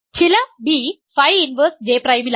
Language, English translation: Malayalam, So, J prime phi inverse J prime ok